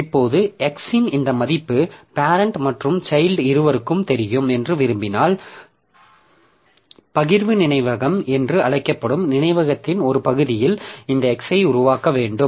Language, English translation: Tamil, Now, if I say, if I want that this X value of X will be visible to both this parent and child, then I should create this x in a region of memory which is called the shared memory